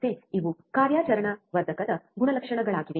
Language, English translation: Kannada, Again, these are the characteristics of an operational amplifier